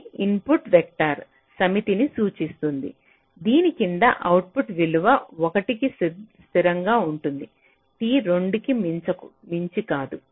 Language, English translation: Telugu, this denotes the set of input vectors under which the output, g gets stable to a value one no later than time, t equal to two